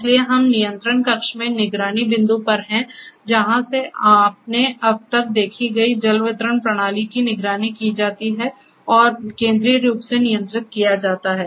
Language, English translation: Hindi, So, we are at the control room the monitoring point from where the water distribution system that you have seen so far can be monitored and centrally controlled